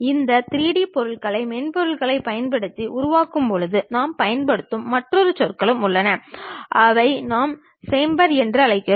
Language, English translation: Tamil, There is other terminology also we use, when we are constructing these 3D objects using softwares, which we call chamfer